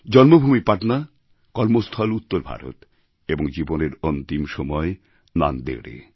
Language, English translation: Bengali, His birthplace was Patna, Karmabhoomi was north India and the last moments were spent in Nanded